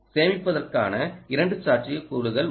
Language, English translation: Tamil, two possibilities of storing energy